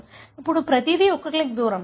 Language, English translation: Telugu, Now, everything is a click away